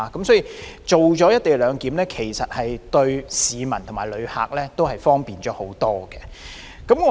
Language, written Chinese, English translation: Cantonese, 所以，實施"一地兩檢"對市民和旅客都帶來更多方便。, So the implementation of co - location arrangement has brought more convenience to members of the public and visitors